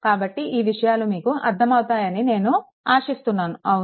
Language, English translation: Telugu, So, I hope this things is understandable to you, right